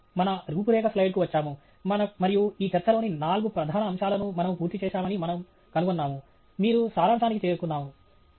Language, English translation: Telugu, We come back here to our outline slide and we find that we have completed all the four major aspects of your talk; you are down to the summary